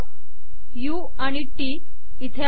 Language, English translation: Marathi, U of t is here